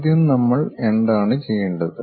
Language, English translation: Malayalam, First thing, what we have to do